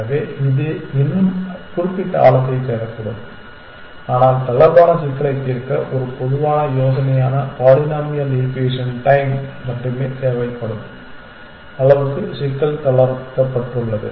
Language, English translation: Tamil, So, it still may search up to the certain depth essentially, but problem has been relaxed to such an extent that to solve the relaxed problem it needs only polynomial time u that is a general idea